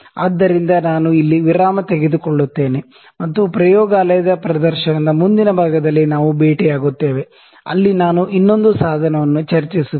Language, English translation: Kannada, So, I will take a break here and we will meet in the next part of laboratory demonstration where I will discuss another instrument